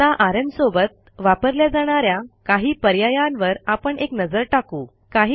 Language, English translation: Marathi, Now let us look into some of the options of the rm command